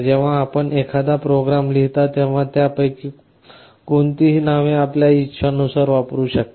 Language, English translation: Marathi, When you write a program, you can use any of those names as you want